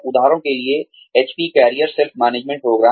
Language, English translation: Hindi, For example, the HP career self management program